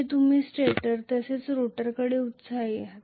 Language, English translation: Marathi, It is excited from both stator as well as rotor